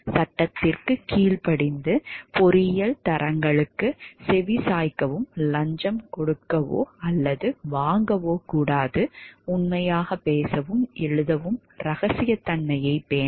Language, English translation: Tamil, Obey the law and heed engineering standards, do not offer a or accept bribes, speak and write truthfully, maintain confidentiality and so forth